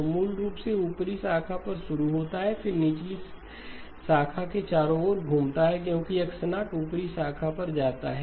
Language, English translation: Hindi, So basically starts of at the upper branch then swings around to the lower branch because X of 0 goes on the upper branch